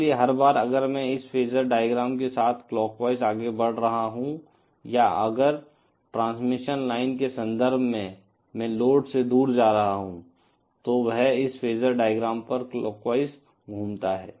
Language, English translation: Hindi, So, everytime if I am moving in a clockwise direction along this phasor diagram or if in terms of transmission line I am moving away from the load, then that translates to a clockwise rotation on this phasor diagram